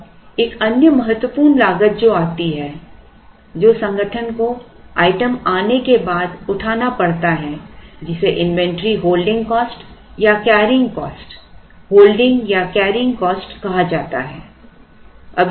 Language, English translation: Hindi, Now, the other important cost that comes that the organization has to incur after the item arrives is called inventory holding cost or carrying cost holding or carrying cost